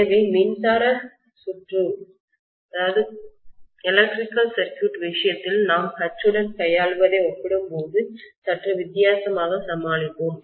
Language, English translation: Tamil, So we will probably deal with H a little differently as compared to what we deal with in the case of electric circuit